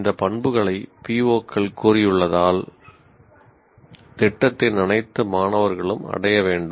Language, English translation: Tamil, Because these characteristics, these attributes as stated by POs have to be attained by all the students of the program